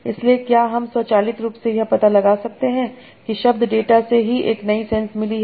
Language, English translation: Hindi, So can I automatically detect that the word has got a new sense from the data itself